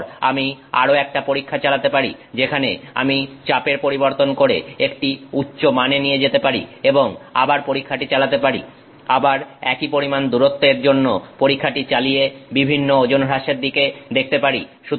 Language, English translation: Bengali, Now, I can run another test where I change the pressure to a higher value and again run the test, again run for the same amount of distance, look at the different weight losses